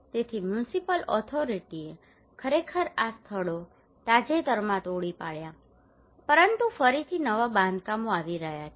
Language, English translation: Gujarati, So municipal authority actually demolished these places recently, but again new constructions are coming